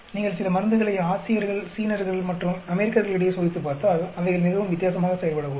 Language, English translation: Tamil, If you are testing some drugs with Asian and Chinese, and the Americans, the drug may be performing differently